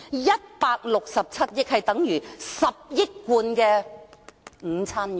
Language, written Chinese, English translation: Cantonese, 167億元，等於10億罐午餐肉。, 16.7 billion or one billion cans of luncheon meat